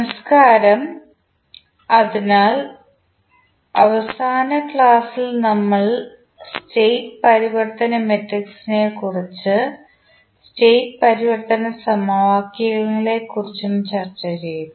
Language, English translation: Malayalam, Namaskar, so in last class we discussed about the state transition matrix and the state transition equations